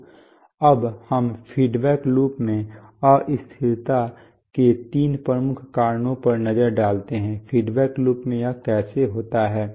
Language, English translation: Hindi, So now let us look at three major causes of instability in feedback loops, how does it occur in a feedback loop